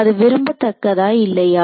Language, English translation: Tamil, So, it is that desirable or undesirable